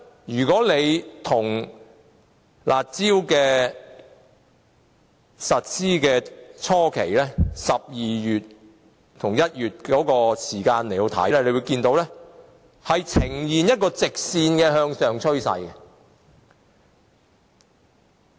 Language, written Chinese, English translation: Cantonese, 如果與推出這項"加辣"措施初期的12月和1月比較，可以看到樓價呈現直線向上的趨勢。, When compared with the figures of December and January when the enhanced curb measure was first introduced we can see the sharp rise trend of property prices